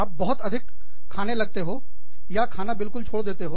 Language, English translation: Hindi, You may start eating, too much, or, completely giving up, eating